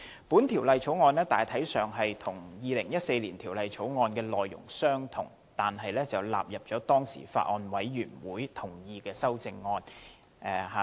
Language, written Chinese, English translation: Cantonese, 本條例草案大體上與2014年《條例草案》的內容相同，但納入了獲當時的法案委員會同意的修正案。, The present Bill is largely the same as the Former Bill introduced in 2014 and incorporates all the Committee stage amendments CSAs agreed to by the then Bills Committee